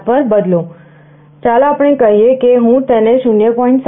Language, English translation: Gujarati, 7 let us say, let me change it to 0